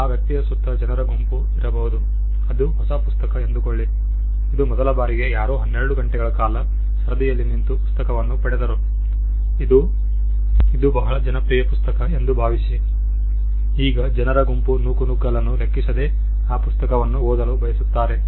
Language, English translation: Kannada, There could be a group of people around that person say it is a new book which has been released for the first time somebody stood in the queue for 12 hours and got the book assume it is a very popular book, you could have a group of friends who do not mind being pushed around looking into the page and reading it